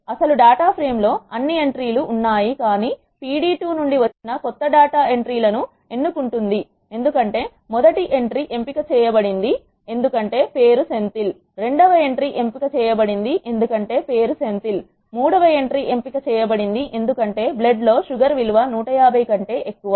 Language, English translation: Telugu, The original data frame contains all the entries, but the new data from pd2 selects these entries because the first entry is selected because the name is Senthil, the second entry is selected because the name is Senthil the third entry is selected because the blood sugar value is greater than 150